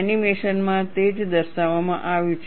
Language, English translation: Gujarati, That is what is depicted in the animation